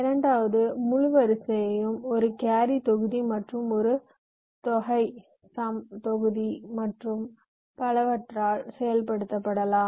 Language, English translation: Tamil, the second full order can also be implemented by a carry module and a sum module, and so on